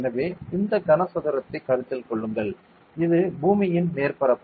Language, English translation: Tamil, So, consider this cuboid and this is the surface of the earth